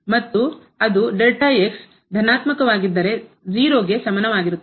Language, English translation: Kannada, And, it will remain as less than equal to 0 if is positive